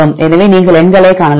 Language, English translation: Tamil, So, you can see the numbers